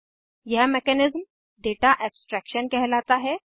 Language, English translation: Hindi, This mechanism is called as Data abstraction